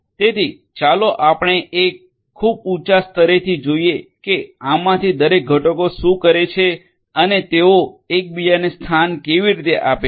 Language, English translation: Gujarati, So, let us look at a very high level what each of these components do and how they position themselves with respect to each other